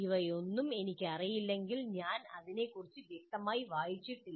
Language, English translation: Malayalam, First of all if I do not know any of these things I haven't read about it obviously I do not know